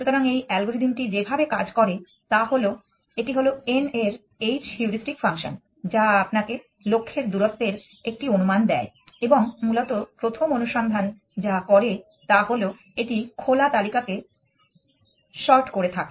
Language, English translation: Bengali, So, the way that this algorithm works is that it is the heuristic function h of n which gives you an estimate of the distance to the goal and what essentially best first search does is that it sorts the open list